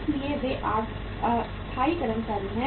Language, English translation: Hindi, So they are the permanent employees